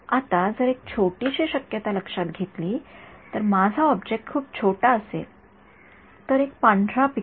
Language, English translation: Marathi, Now if my object is very small considering the smallest possibility one pixel white right